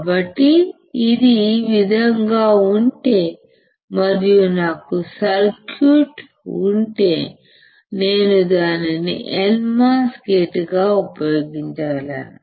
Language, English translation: Telugu, So, if this is in this way and if I have the circuit, I can use it as a not gate